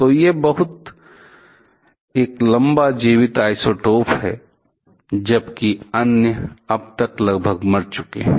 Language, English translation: Hindi, So, this is a very long living isotopes, while others have almost died down by now